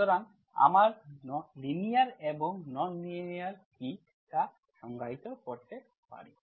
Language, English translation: Bengali, So we can define what is linear and non linear